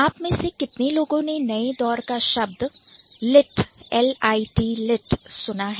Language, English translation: Hindi, How many of you have heard the term like the new generation words like lit